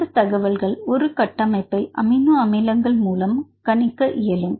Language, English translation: Tamil, So, how to obtain this structure from the amino acid sequence